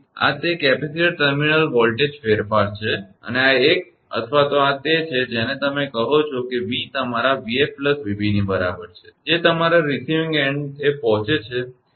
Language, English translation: Gujarati, So, this is that capacitor terminal voltage variation and this one either this one or this one this is the your what you call that is that v is equal to your v f plus v b right which is arriving at the your receiving end